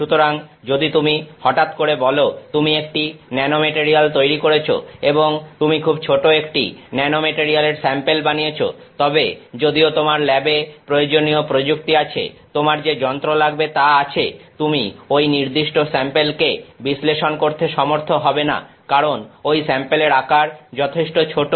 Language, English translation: Bengali, So, if you suddenly say you have made a nanomaterial and you have made a very tiny sample of a nanomaterial, then the chances are that even though you have that technique available in your lab that instrument that you have will know will not be able to probe this particular sample, because the sample size is very small